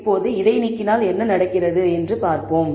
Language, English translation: Tamil, Now, let us see what happens, if we remove this